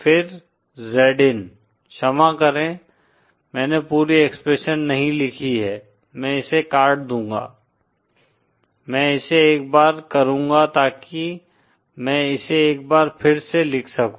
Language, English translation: Hindi, Then Z in, sorry I didn’t write the whole expression, I will cut this down I’ll just do it so that I can write it once again